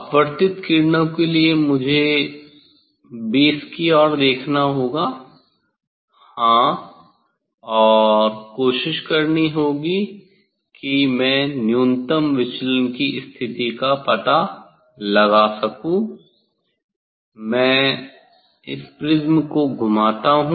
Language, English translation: Hindi, for refracted rays I have to look towards the base I have to look towards the base yes and try to I will try to find out the minimum deviation position, I rotate prisms; yes